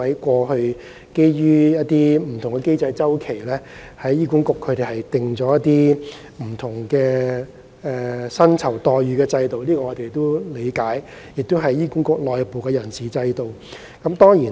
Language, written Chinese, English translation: Cantonese, 過去基於不同的經濟周期，醫管局制訂了不同的薪酬待遇制度，這是醫管局內部的人事安排。, In the light of different economic cycles in the past HA has developed different remuneration packages and this is the internal staffing arrangement of HA